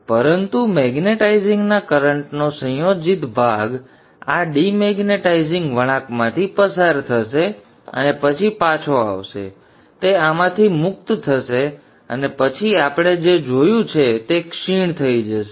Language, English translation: Gujarati, But the coupled part of the magnetizing current will flow through this demonetizing winding into the supply and then back so it will freewheel through this and then decay that we have seen